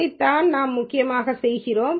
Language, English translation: Tamil, This is what we are essentially doing